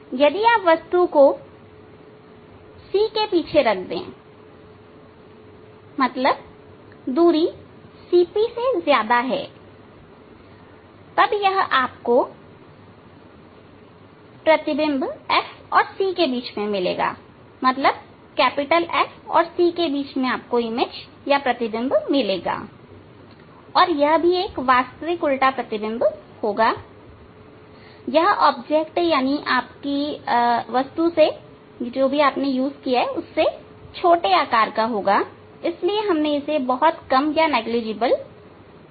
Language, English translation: Hindi, If you if you put the object beyond C means the distance is greater than CP, then this image you will get between F and C and it will be real inverted image and it will be smaller size than the object size